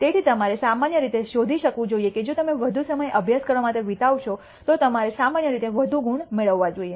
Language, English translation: Gujarati, So, you should find typically if you spend more time study you should obtain typically more marks